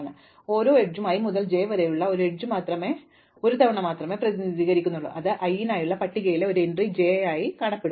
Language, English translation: Malayalam, So, each edges is represented only once if there is an edge from i to j it will appear as an entry j in the list for i